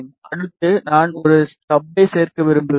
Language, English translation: Tamil, Next, task I want to add a stub